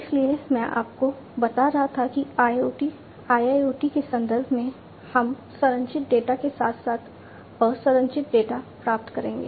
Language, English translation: Hindi, So, I was telling you that in the context of IoT, IIoT, etcetera we will get both structured data as well as unstructured data